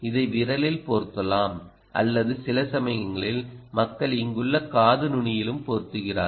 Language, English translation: Tamil, apply it either to the finger or sometimes people also apply to the ear tip